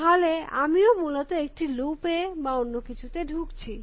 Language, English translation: Bengali, Then I am also getting into a loop or some kind essentially